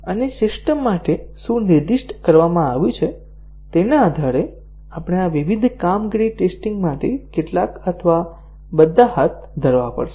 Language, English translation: Gujarati, And, based on what is specified for the system, we have to carry out some or all of these various performance tests